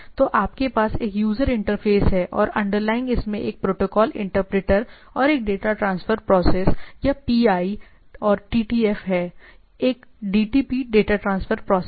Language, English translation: Hindi, So, you it has a user interface and underlying it has a protocol interpreter and a data transfer process or PI and TTF, right a DTP data transfer process